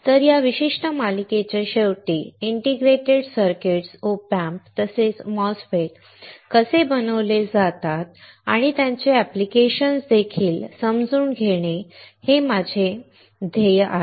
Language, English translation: Marathi, So, this is my goal that at the end of this particular series that you are able to understand, how the integrated circuits, OP Amps as well as the MOSFETS are fabricated and also their applications